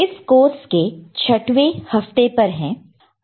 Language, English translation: Hindi, We are in week 6 of this particular course